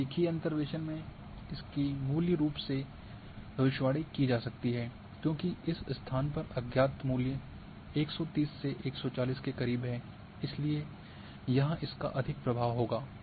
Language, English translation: Hindi, Now in linear interpolation, as a value for this can be predicted because this location the unknown value is more close to the 130 then 140, so it will have more influence here